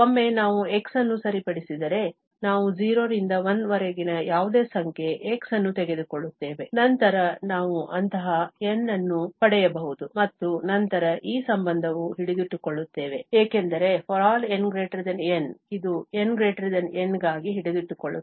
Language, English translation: Kannada, Once we fix the x, we take any number x from 0 to 1, then we can get such N and then this relation will hold because for all n greater than this N, this holds for n greater than this N